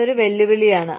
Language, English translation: Malayalam, That is a challenge